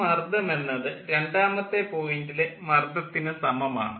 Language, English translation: Malayalam, so ah, pressure five is equal to the pressure at point two